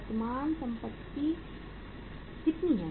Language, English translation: Hindi, Current assets are how much